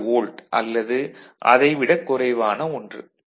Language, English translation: Tamil, 2 volt, it can be less than that